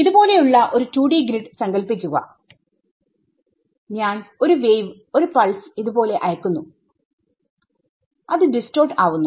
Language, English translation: Malayalam, So, imagine 2D grid like this, I send a wave I send a pulse like this it distorts